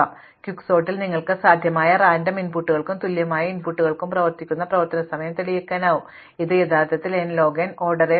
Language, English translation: Malayalam, But, in Quicksort you can prove that the expected running time across all possible random inputs equally likely inputs, is actually order n log n